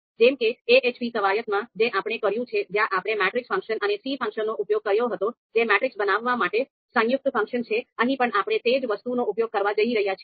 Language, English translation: Gujarati, So just like in the you know AHP exercise that we did where we had used the matrix function and the c function that is combined function to actually you know create the matrix, so here again we are going to use the same thing